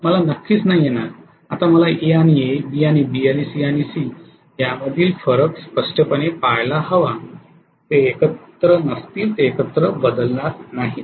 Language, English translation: Marathi, Definitely I will not have, now I have to look at the difference between A and A, B and B and C and C very clearly they will be not together, they will not be changing together